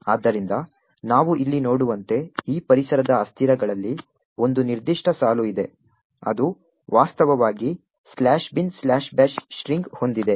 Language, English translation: Kannada, So, as we see over here there is one particular line in this environment variables which actually has the string slash bin slash bash